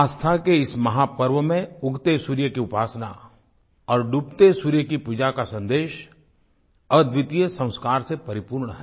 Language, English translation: Hindi, In this mega festival of faith, veneration of the rising sun and worship of the setting sun convey a message that is replete with unparalleled Sanskar